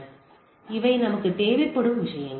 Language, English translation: Tamil, So, these are the things what we require in the thing